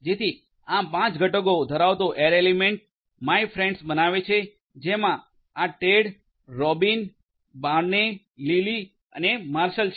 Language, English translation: Gujarati, So, this will create this 5 element array my friends having these elements Ted, Robyn, Barney, Lily and Marshall